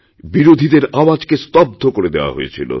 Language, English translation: Bengali, The voice of the opposition had been smothered